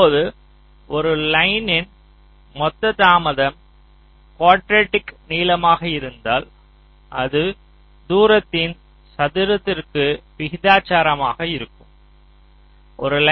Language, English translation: Tamil, now i mentioned that the total delay along a line this quadratic in length, which means it is proportional to the square of the distance